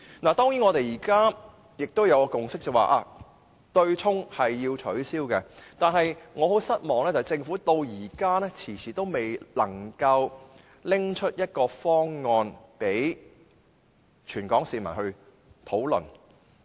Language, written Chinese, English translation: Cantonese, 如今大家已有共識，便是要取消對沖，但令我感到失望的是，政府遲遲未能提出一個方案，供全港市民討論。, Now we have reached the consensus to abolish the offsetting mechanism . Yet it is disappointing that the Government has been procrastinating all along in presenting a proposal to the people of Hong Kong for discussion